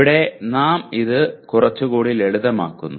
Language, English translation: Malayalam, Here we are making this look somewhat simple